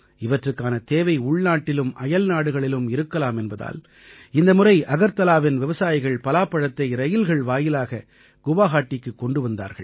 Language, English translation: Tamil, Anticipating their demand in the country and abroad, this time the jackfruit of farmers of Agartala was brought to Guwahati by rail